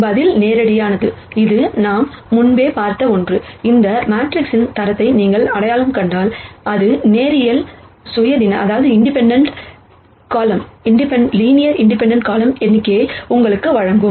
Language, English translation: Tamil, The answer is straightforward this is something that we have already seen before, if you identify the rank of this matrix it will give you the number of linearly independent columns